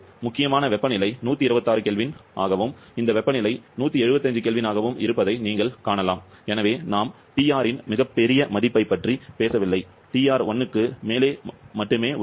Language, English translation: Tamil, 51% error and that is logical also, you can see critical temperature is 126 kelvin and this temperature 175 kelvin, so we are not talking about a very large value of TR; TR is only just above 1